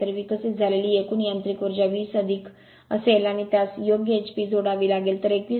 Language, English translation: Marathi, So, total mechanical power developed will be 20 plus this one you have to add right h p, so 21